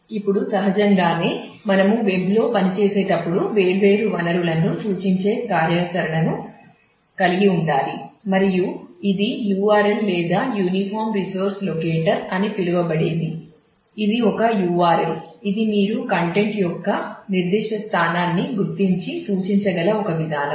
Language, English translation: Telugu, Now, naturally when we operate on the web we need to have the functionality of pointing to different resources and this is done by what is known as URL or uniform resource locator